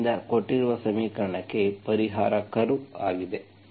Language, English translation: Kannada, So that is the solution curve for the given equation